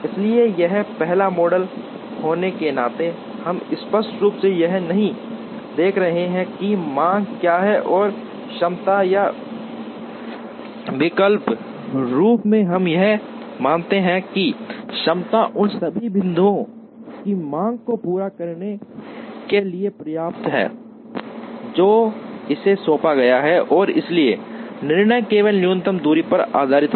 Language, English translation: Hindi, So, this being a first model, we are not looking explicitly at what is the demand and what is the capacity or alternatively we assume that, capacity is enough to meet the demand of all the points that are assigned to it and therefore, the decision is based only on minimum distance